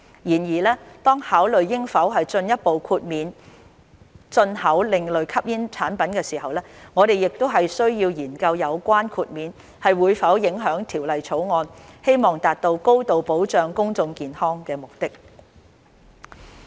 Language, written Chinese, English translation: Cantonese, 然而，當考慮應否進一步豁免進口另類吸煙產品時，我們須研究有關的豁免會否影響《條例草案》希望達到高度保障公眾健康的目的。, However when considering whether further exemptions should be granted for the import of ASPs we need to examine whether such exemptions would affect the Bills objective of achieving a high level of public health protection